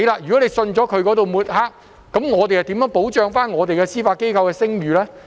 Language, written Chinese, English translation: Cantonese, 如果公眾相信他的抹黑，我們如何保障我們司法機構的聲譽呢？, If the public believe his smearing remarks then how can we protect the reputation of the judiciary?